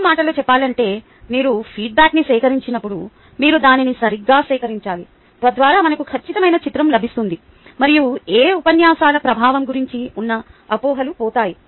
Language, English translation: Telugu, this is really important: that when you collect the feedback, we should collect it properly so that we get an accurate picture and we dont ah we are not left with misconceptions about the impact of my lectures